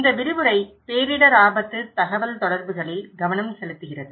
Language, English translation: Tamil, This lecture is focusing on disaster risk communications